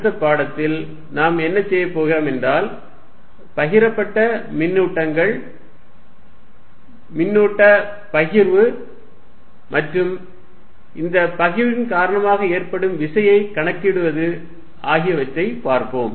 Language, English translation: Tamil, What we are going to do in the next lecture is consider distributed charges, distribution of charges and calculate force due to this distribution